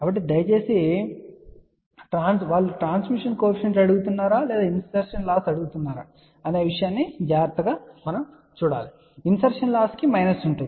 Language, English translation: Telugu, So, please read the problem carefully whether they are asking for transmission coefficient or whether they are asking for insertion loss insertion loss will have minus